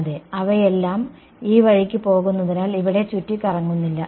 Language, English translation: Malayalam, Yeah, because they are all going this way there is no swirling around over here